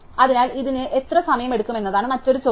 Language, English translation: Malayalam, So, another question is how much time this is take